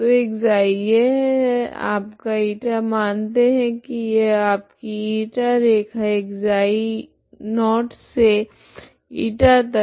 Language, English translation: Hindi, So ξ is this is your η let us say this is your η line η is from ξ0to η, okay